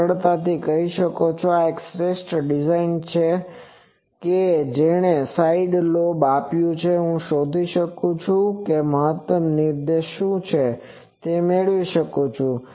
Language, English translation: Gujarati, , you can easily say that this is the optimum design that given a side lobe, I can find what is the maximum directivity that I can obtain